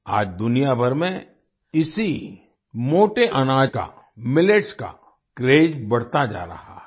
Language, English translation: Hindi, Today, around the world, craze for these very coarse grains, millets, is rising